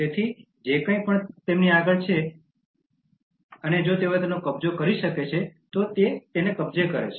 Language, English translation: Gujarati, So, whatever is before them, if they can occupy, they occupy that